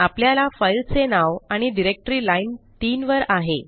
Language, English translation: Marathi, Our file name and directory on line 3